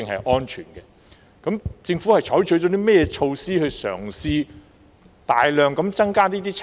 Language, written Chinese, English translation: Cantonese, 就此，究竟政府採取了甚麼措施來嘗試大量增加測試數目呢？, In this connection what measures or attempts have the Government taken to increase the number of tests on a larger scale?